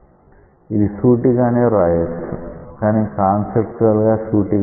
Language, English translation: Telugu, It is straightforward, but conceptually not that straightforward